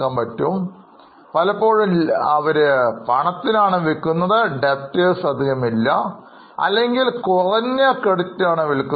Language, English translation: Malayalam, They are selling almost on cash basis or with a very minimum credit